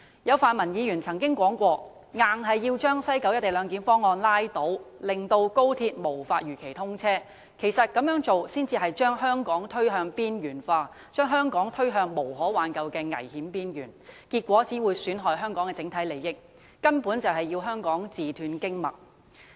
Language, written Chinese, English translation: Cantonese, 有泛民議員曾表示一定要把西九龍站"一地兩檢"方案拉倒，令高鐵無法如期通車，這樣做其實會把香港推向邊緣化，把香港推向無可挽救的危險邊緣，結果只會損害香港的整體利益，根本是要令香港自斷經脈。, Some Members of the pan - democratic camp have claimed that they must get rid of the proposed co - location arrangement at West Kowloon Station so that XRL cannot be commissioned as scheduled . This will in fact marginalize Hong Kong thus pushing Hong Kong to the edge of a cliff and inducing irreversible harm on the overall interests of Hong Kong . In so doing Hong Kong will only cut itself off entirely from the path of development